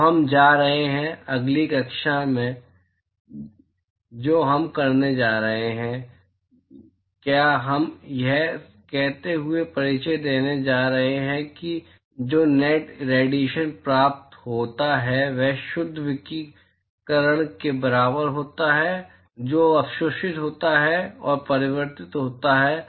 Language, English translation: Hindi, So, we are going to; next class what we are going to do is we are going to introduce saying that the net irradiation that is received is equal to the net irradiation that is absorbed plus reflected plus transmitted